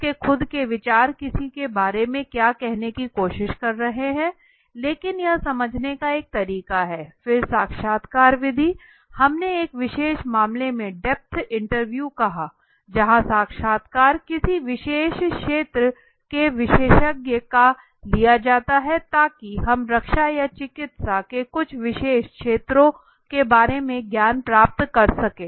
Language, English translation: Hindi, And understanding what he is trying to say about somebody else so that projects his own thinking process to for somebody else but that is one way of understanding how the respondent is thinking then is interview method we said in a depth interview in a special case where the you know the a interview is taken of a expert in a particular area so that we gain in knowledge about some specialized areas maybe of medical of defense